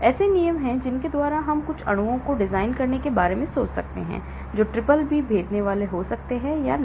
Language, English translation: Hindi, So, there are rules by which we can think of designing some molecules, which can be BBB penetrating or not